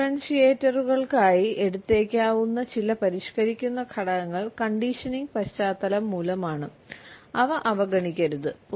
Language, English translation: Malayalam, Some modifying factors that might be taken for differentiators are may be caused by the conditioning background and they should not be overlooked